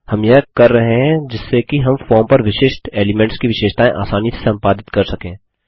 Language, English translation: Hindi, We are doing this so that we can edit the properties of individual elements on the form easily